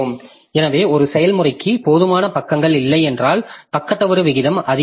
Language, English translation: Tamil, So if a process does not have enough pages, the page fault rate becomes very high